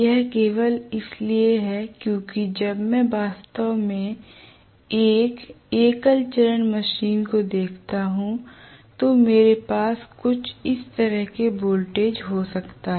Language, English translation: Hindi, This is only because when I actually look at a single phase machine I may have voltage somewhat like this